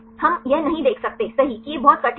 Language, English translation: Hindi, We cannot see that right it is very difficult